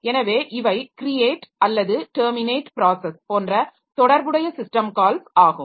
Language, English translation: Tamil, So, these are some of the related system calls like create process or terminate process